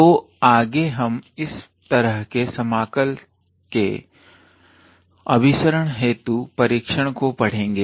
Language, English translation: Hindi, So, next we will look into test of convergence